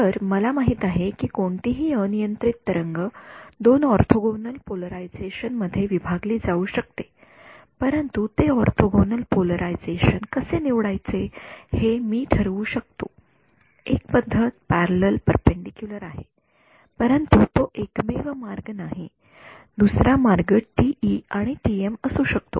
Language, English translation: Marathi, So, I know that any arbitrary plane wave can be broken up into two orthogonal polarizations, but how I choose those orthogonal polarization that is up to me, one convention is parallel perpendicular, but that is not the only way, another way could be TE and TM